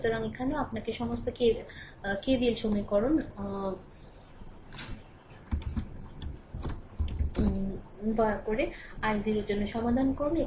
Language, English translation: Bengali, So, here also, you please right your all K V L equation and solve for i 0